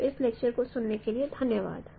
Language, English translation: Hindi, So thank you for listening to this lecture